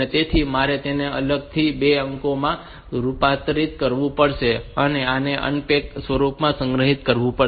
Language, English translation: Gujarati, So, I have to convert it into 2 digits separately and stored them in an unpack form